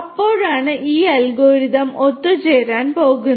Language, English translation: Malayalam, So, that is when this algorithm is going to converge